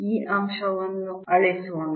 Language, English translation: Kannada, let me erase this point